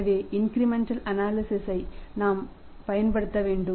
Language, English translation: Tamil, So, we have to again take the help of the incremental analysis